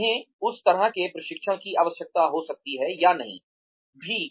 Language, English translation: Hindi, They may or may not need, that kind of training